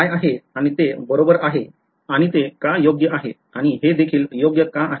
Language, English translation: Marathi, What is and it is correct and why would that be correct and why would this also be correct